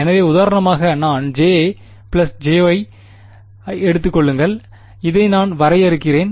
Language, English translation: Tamil, So, for example, if I take J plus j times Y, I get this guy that is the definition